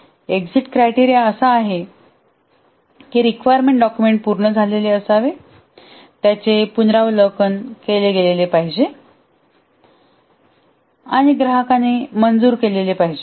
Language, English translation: Marathi, The exit criteria is that the requirement specification document must have been completed, it must have been reviewed and approved by the customer